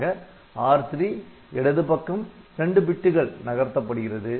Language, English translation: Tamil, So, it was that R3 was left shifted by 2 bits